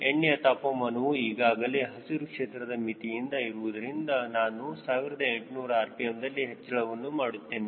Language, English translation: Kannada, since the oil temperature is already in the ground green range and moving ahead, i will take the rpm to eighteen hundred